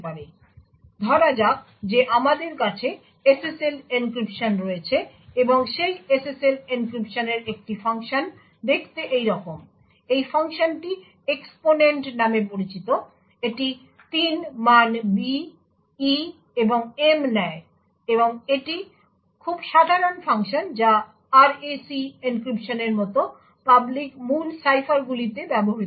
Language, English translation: Bengali, Now let us say we have SSL encryption and one function in that SSL encryption looks like this, this function is known as exponent, it takes 3 values b, e and m and this is a very common function used in public key ciphers such as the RAC encryption